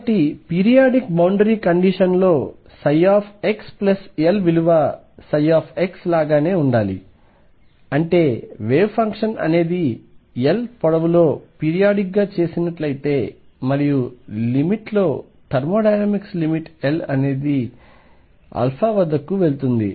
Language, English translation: Telugu, So, what periodic boundary condition does is demand that psi x plus L be same as psi x; that means, make the wave function periodic over a length L and in the limit thermodynamic limit will at L go to infinity